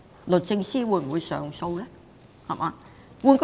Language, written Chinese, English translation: Cantonese, 律政司會上訴嗎？, Will the Department of Justice lodge an appeal?